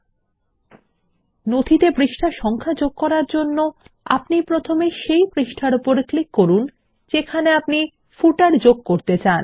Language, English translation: Bengali, To insert page numbers in the footer, we first click on the page where we want to insert the footer